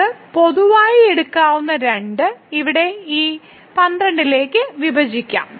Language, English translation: Malayalam, So, the 2 we can take common and we will divide to this 12 here